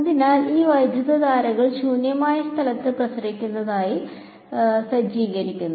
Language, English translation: Malayalam, So, this is setting these currents are setting radiating in empty space